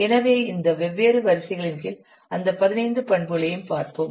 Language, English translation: Tamil, So these, let's see, all those 15 attributes under these different headings